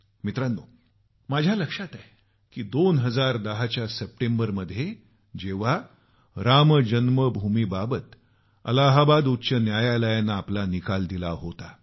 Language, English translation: Marathi, Friends, I remember when the Allahabad High Court gave its verdict on Ram Janmabhoomi in September 2010